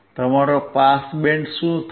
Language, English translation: Gujarati, What will be your pass band